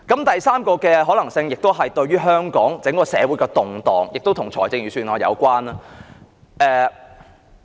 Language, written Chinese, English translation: Cantonese, 第三個可能性在香港社會引起的動盪，亦與預算案有關。, The upheavals in the Hong Kong community aroused by the third possibility are also related to the Budget